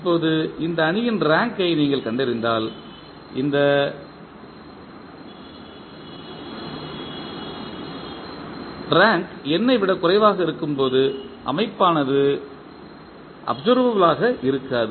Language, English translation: Tamil, Now, when you find the rank of this matrix and this rank is less than n, the system is not observable